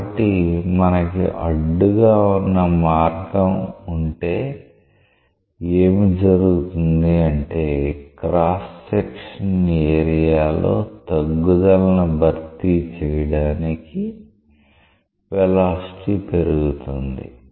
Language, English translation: Telugu, So, if you have a constraint passage, what is happening is that the velocities are increasing to compensate for the decrease in the cross section area